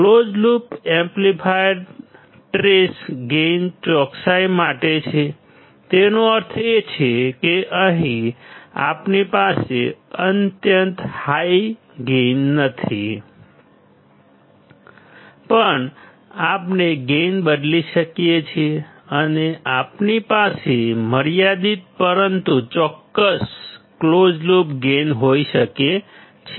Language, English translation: Gujarati, Close loop amplifier trades gain for accuracy; that means, that here we do not have extremely high gain, but we can change the gain and we can have finite, but accurate closed loop gain